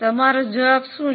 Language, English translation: Gujarati, What is your answer